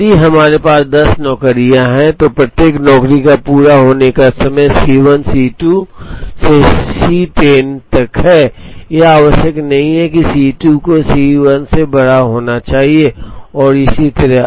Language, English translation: Hindi, If we have ten jobs, each job has a completion time C 1 C 2 up to C 10, it is not necessary that C 2 has to be bigger than C 1 and so on